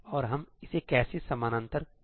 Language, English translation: Hindi, And how can we parallelize it